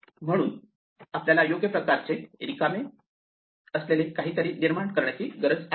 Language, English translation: Marathi, So, we need to create something which is empty of the correct type